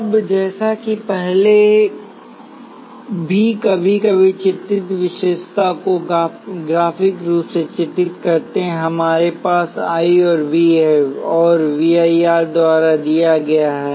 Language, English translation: Hindi, Now, as before we also sometimes depict picked the characteristic graphically, we have I and V, and V is given by I R